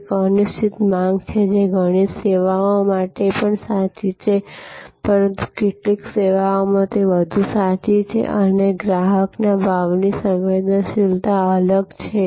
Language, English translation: Gujarati, Variable an uncertain demand, which is also true for many services, but in some services, it is truer and there is varying customer price sensitivity